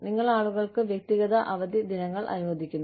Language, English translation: Malayalam, You allow people, personal days off